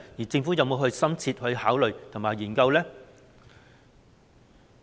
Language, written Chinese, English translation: Cantonese, 政府有否深切考慮和研究呢？, Has the Government considered and studied it thoroughly?